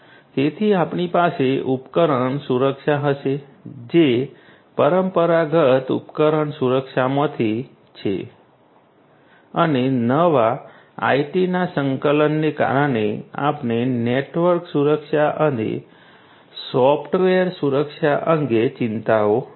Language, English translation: Gujarati, So, we will have the device security this is from the traditional device security, traditional and newly due to the integration of IT we have the concerns about network security and software security